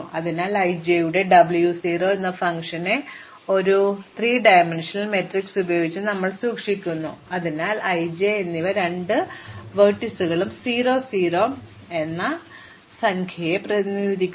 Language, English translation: Malayalam, So, we have keeping track of this function W 0 of i j by a three dimensional matrix, so i and j represent the two vertices and the 0 represents the iteration number